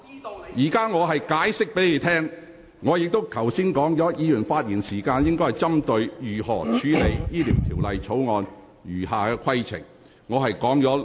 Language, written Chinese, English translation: Cantonese, 我現正向你說明，而剛才我亦已數次清楚提醒，議員發言時應針對如何處理《條例草案》的餘下程序。, I am now giving you an explanation . And just now I already gave a clear reminder a few times that Members speeches should address the question of how the remaining proceedings of the Bill should be dealt with